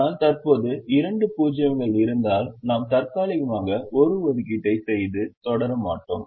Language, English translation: Tamil, but at the moment, if there are two zeros, we temporarily not make an assignment and proceed